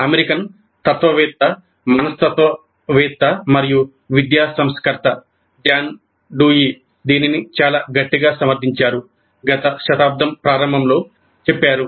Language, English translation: Telugu, It was advocated very strongly by the American philosopher, psychologist, and educational reformer John Dewey, way back in the early part of the last century